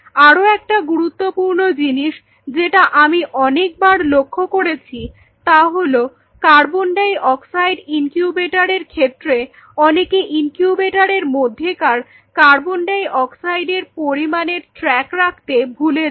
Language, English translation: Bengali, Another important thing what I have observed over the years is people forget to keep track of if it is a CO2 incubator of the amount of CO2 in the incubator